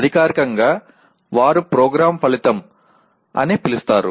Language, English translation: Telugu, Officially it is defined through what they call as Program Outcomes